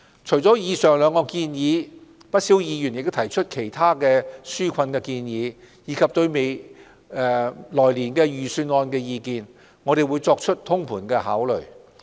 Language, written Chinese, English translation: Cantonese, 除了以上兩項建議，不少議員提出了其他紓困建議，以及對來年預算案的意見，我們會作通盤的考慮。, In addition to the two suggestions made earlier many Members have put forward other relief measures and their thoughts on the Budget for the coming year which we will consider comprehensively